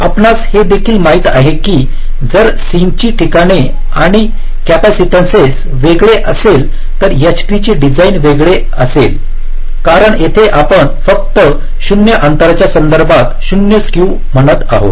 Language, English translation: Marathi, also, if the sink locations and sink capacitances are vary[ing], then the design of the h tree will be different, because here you are saying exact zero skew only with respect to the distances